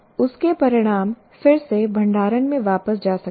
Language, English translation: Hindi, The results of that might be again go back to the storage